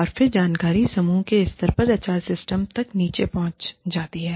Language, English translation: Hindi, And then, the information percolates down, to the team level HR systems